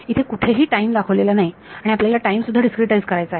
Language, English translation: Marathi, Time has not been indicated over here and we should discretize time also right